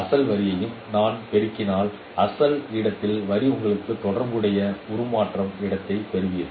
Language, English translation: Tamil, If I multiply with the original line, line in the original space, you will get the corresponding transform space